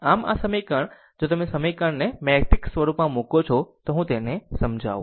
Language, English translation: Gujarati, So, this equation, if an if you put this equation in the matrix form, let me clean it